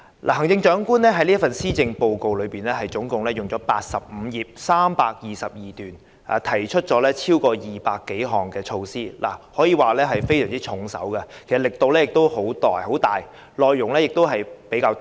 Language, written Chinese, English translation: Cantonese, 行政長官的這份施政報告篇幅長達85頁，共有322段，當中提出了超過200項措施，可謂非常重手，力度十分大，內容亦比較多。, The Chief Executives Policy Address is 85 pages long containing 322 paragraphs to propose more than 200 measures . It is arguably very heavy in weight powerful in force and rich in content